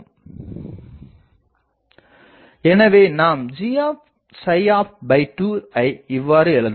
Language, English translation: Tamil, So, we can put this value of D f there